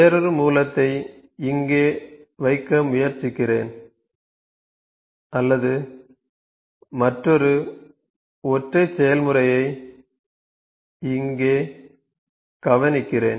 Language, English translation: Tamil, So, let me try to just put another Source here or not another Single Process here